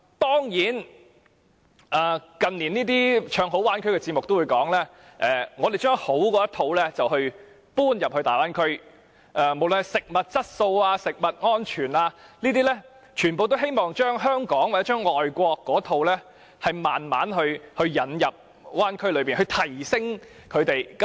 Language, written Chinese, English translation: Cantonese, 當然，近年唱好大灣區的節目會指出，他們會把好的一套搬入大灣區，無論是食物質素或食物安全，他們皆希望把香港或外國的一套逐漸引入大灣區，並加以提升。, Certainly television programmes which sing the praises of the Bay Area in recent years will point out that they will bring good practices into the Bay Area . Whether speaking of food quality or food safety they wish to gradually bring Hong Kong or overseas standards into the Bay Area and further enhance them